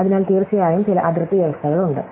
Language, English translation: Malayalam, So, there are, of course, some boundary conditions